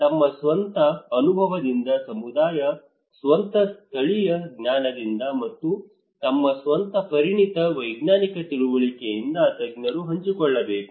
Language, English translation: Kannada, Community from their own experience, from own local knowledge, and the expert from their own expertise scientific understanding